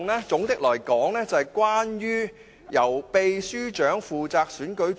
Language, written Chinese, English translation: Cantonese, 總的來說，這修訂是關於由立法會秘書負責選舉主席。, All in all the amendment seeks to task the Clerk to the Legislative Council with the responsibility of conducting the election of the President